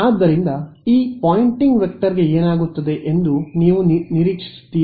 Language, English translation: Kannada, So, what do you expect will happen to this Poynting vector